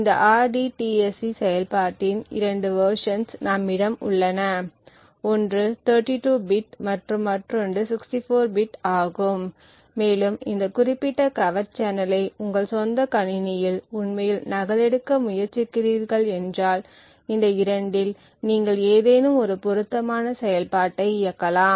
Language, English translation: Tamil, So we have 2 versions of this rdtsc function other one is for 32 bit and the other is for 64 bit and if you are using trying to actually replicated this particular covert channel on your own machine, you could suitably enable one of these 2 functions